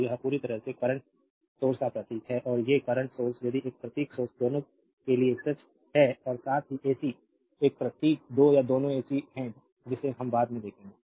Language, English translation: Hindi, So, this is totally these a symbol of the current source and these current source if this symbol is true for both dc as well ac right this symbol is two or both will ac we will see later